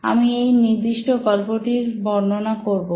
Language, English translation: Bengali, So I'll demonstrate this particular story